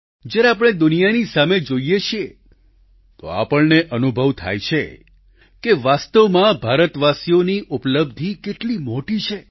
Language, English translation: Gujarati, When we glance at the world, we can actually experience the magnitude of the achievements of the people of India